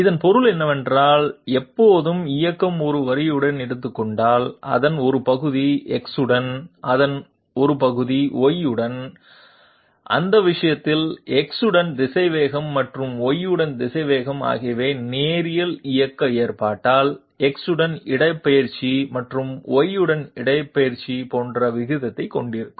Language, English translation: Tamil, It means that whenever motion is taking along a line, a part of it along X, a part of it along Y, in that case the velocity along X and velocity along Y will be having the same ratio as the displacement along X and displacement along Y in case of linear motion